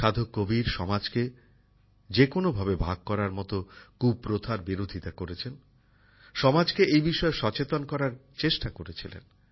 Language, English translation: Bengali, Sant Kabir opposed every evil practice that divided the society; tried to awaken the society